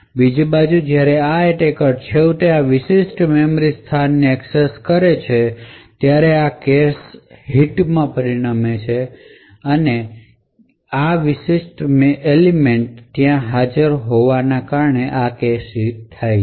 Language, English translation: Gujarati, On the other hand when the attacker finally accesses this specific memory location it would obtain a cache hit due to the fact that this particular element is present in the cache